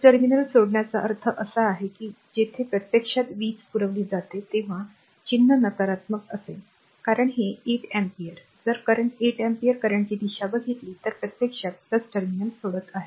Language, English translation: Marathi, Leaving the plus terminal means it is where your what you call sign will be negative when power supplied actually right, because this 8 ampere if you look at the direction of the current this 8 ampere current actually leaving the plus terminal